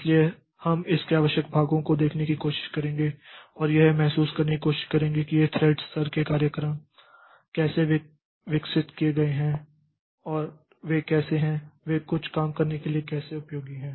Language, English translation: Hindi, So, we'll try to see the essential parts of it and try to get a feeling like how this thread level programs are developed and how are they, how are they useful for having some job done